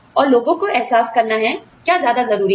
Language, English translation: Hindi, And, the people have to realize, you know, what is more important